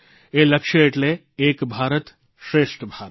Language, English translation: Gujarati, Ek Bharat, Shreshth Bharat